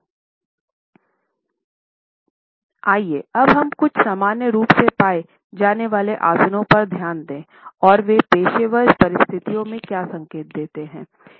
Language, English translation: Hindi, Let us look at some commonly found postures and what do they signify in professional circumstances